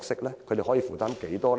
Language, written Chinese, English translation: Cantonese, 他們可以負擔多少？, What responsibilities can they bear?